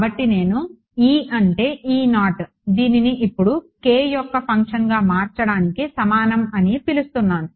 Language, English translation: Telugu, So, I call E is equal to I make this E naught now a function of k